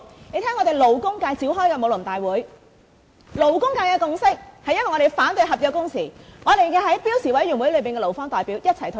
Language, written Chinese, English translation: Cantonese, 我們在勞工界召開的武林大會，勞工界的共識是反對合約工時，而我們在標準工時委員會上與勞方代表一起退場。, At the general conference held by the labour sector the labour sector reached a consensus against contractual working hours; that was why we withdrew from the meeting of the Standard Working Hours Committee together with the labour representatives